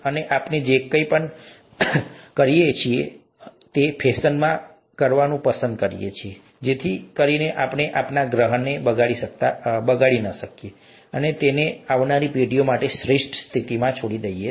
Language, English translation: Gujarati, And, whatever we do, we like to do in a sustainable fashion, so that we don’t spoil the our planet, and leave it for the next generations in the best state that we can